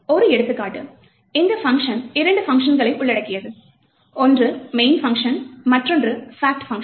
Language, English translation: Tamil, So we will take as an example, this particular program, which comprises of two functions, a main function and fact function